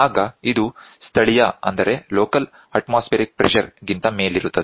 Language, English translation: Kannada, So, then it is above the local atmospheric pressure